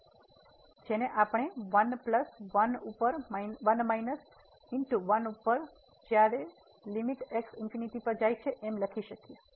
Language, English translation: Gujarati, So, which we can write down as 1 plus 1 over minus 1 and when limit goes to infinity